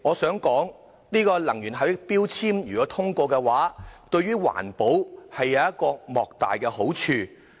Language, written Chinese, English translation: Cantonese, 代理主席，能源標籤獲得通過對環保有莫大好處。, Deputy President the passage of this resolution on energy efficiency labelling will be enormously helpful to environment protection